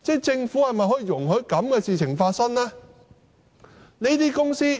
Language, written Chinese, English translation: Cantonese, 政府是否容許這樣的事情發生呢？, Will the Government allow these things to happen?